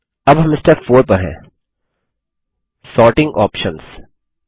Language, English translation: Hindi, Now we are in Step 4 Sorting Options